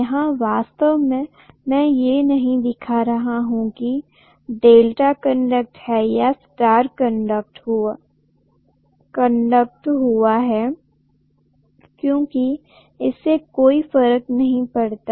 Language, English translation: Hindi, I am not really showing whether it is Delta connected or star connected, it does not matter